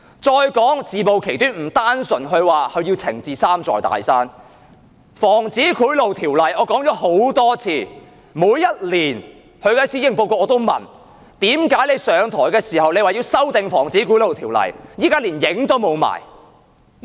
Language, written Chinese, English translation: Cantonese, 再說自暴其短，不單是她說要整治"三座大山"，《防止賄賂條例》，我說了很多次，每年她發表施政報告時我都問，為何她上台時說要修訂《防止賄賂條例》，現在卻連影都沒有？, Again on the exposure of her own shortcomings not only did she say she wanted to overcome the three big mountains on the Prevention of Bribery Ordinance as I have said many times each year after she had presented the policy address I would ask her why although she said when taking office that she wanted to amend the Prevention of Bribery Ordinance no trace of such a thing could be seen now